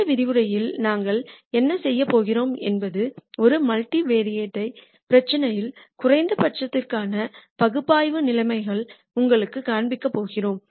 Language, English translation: Tamil, In this lecture what we are going to do is we are going to show you the analytical conditions for minimum in a multivariate problem